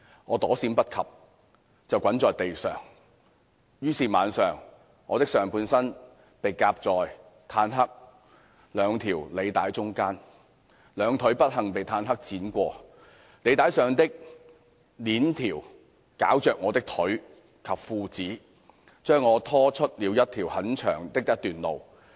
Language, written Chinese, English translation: Cantonese, 我躲閃不及，便滾在地上，但是晚了；我的上半身被夾在坦克兩條履帶中間，兩腿不幸被坦克輾過，履帶上的鏈條絞着我的腿及褲子，將我拖出了很長的一段路。, Failing to dodge I rolled on the ground but it was too late . My upper body was caught between the two tracks of the tank and both legs were ran over by the tank . My legs and trousers entangled with the links of the tracks which dragged me for a long stretch on the road